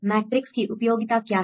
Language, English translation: Hindi, So, what is usefulness of this matrix